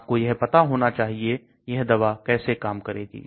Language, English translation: Hindi, You should know how the drug acts